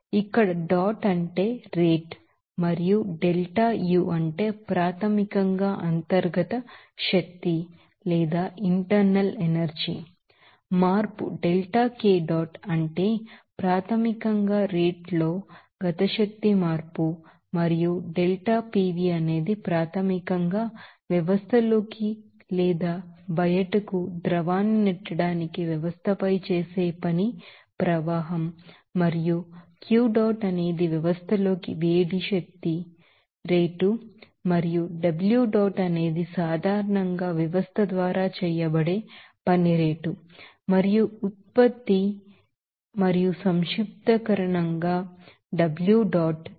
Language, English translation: Telugu, Here, dot means rate and delta U means, basically internal energy change delta K dot means basically kinetic energy change in rates and delta PV is basically the flow of work that is performed on the system in order to push the fluid in or out of the system and Q dot is the rate of heat energy in to the system and W dot is generally rate of work done by the system as an output and summation of these internal energy and this you know rate of work done by the system or to work that is performed on the system in order to push the fluid in or out of the system will be regarded as enthalpy of the system, which is denoted by H